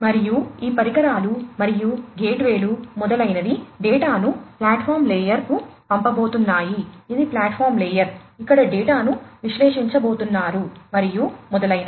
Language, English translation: Telugu, And these devices and the gateways etcetera are going to send the data to the platform layer, these are this is the platform layer, where the data are going to be analyzed, and so on